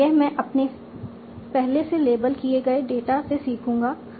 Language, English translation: Hindi, And this I will learn from my already labeled data